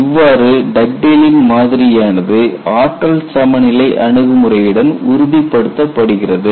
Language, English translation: Tamil, So, you have a confirmation from Dugdale's model plus energy balance approach